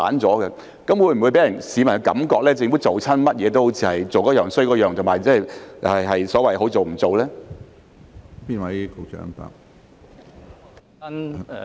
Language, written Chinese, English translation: Cantonese, 這會否令市民覺得政府做甚麼都做得差，是所謂"好做唔做"呢？, Will this give the public the impression that the Government is doing everything badly and that it had better not done it?